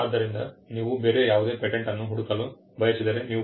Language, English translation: Kannada, So, if you want to search any other patent, you could go to www